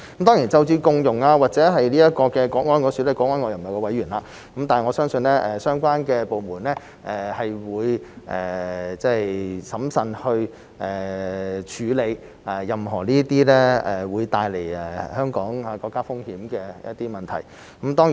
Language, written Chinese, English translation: Cantonese, 當然就着共融或國安方面，我不是國安委委員，但我相信相關的部門會審慎地處理任何會帶來香港和國家風險的問題。, With regard to inclusion or national security I am not a member of the Committee for Safeguarding National Security but I believe relevant departments will handle any issues that may bring risks to Hong Kong and the country prudently